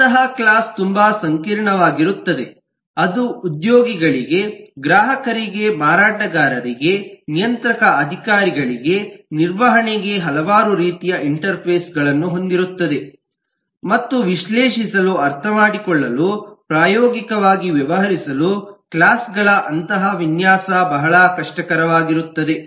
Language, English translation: Kannada, such a class would be so complex, it will have so many different types of interfaces catering to employees, to customers, to vendors, to regulatory authorities, to the management and so on, that it will practically become very difficult to deal with, to understand, to analyze such design of classes